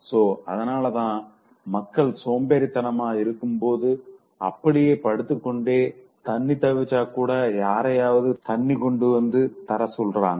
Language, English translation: Tamil, So that's why people, once they are lazy, they just lie and then they, even for water, so they'll ask somebody to get it for them